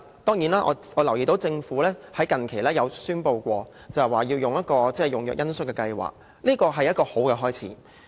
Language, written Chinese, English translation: Cantonese, 當然，我留意到政府近期宣布的恩恤用藥計劃，這是一個好的開始。, Of course I notice the compassionate programmes on the use of drugs recently announced by the Government which mark a good start